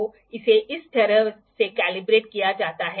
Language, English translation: Hindi, So, it is calibrated in this way